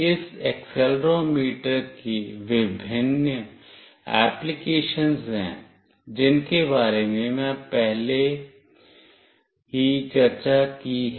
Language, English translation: Hindi, There are various applications of this accelerometer, I have already discussed previously